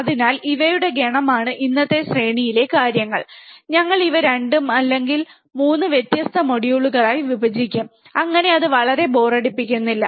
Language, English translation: Malayalam, So, these are the set of things in today's series, we will again divide these into 2 or 3 different modules so that it does not become too boring